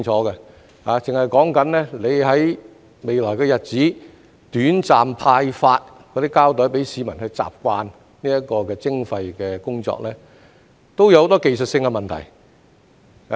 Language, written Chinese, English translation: Cantonese, 單是局方在未來日子短暫派發膠袋給市民去習慣這項徵費的工作，已有很多技術性的問題。, As regards the temporary distribution of plastic garbage bags by the Bureau to the public to enable them to get accustomed to waste charging in the coming future it has already given rise to a bunch of technical issues